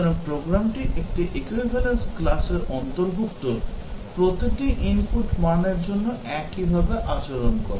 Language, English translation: Bengali, So, the program behaves in a similar way for every input value belonging to an equivalence class